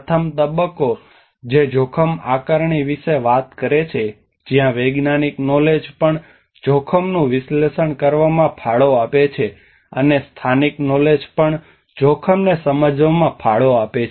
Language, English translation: Gujarati, The first stage which talks about the risk assessment where the scientific knowledge also contributes in analysing the risk, and also the local knowledge also contributes in understanding the risk